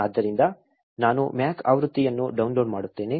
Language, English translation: Kannada, So, I will be downloading the Mac version